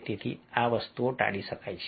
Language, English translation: Gujarati, so these things can be avoided